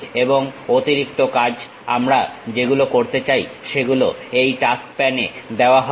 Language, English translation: Bengali, And additional task what we would like to do, that will be given at this task pan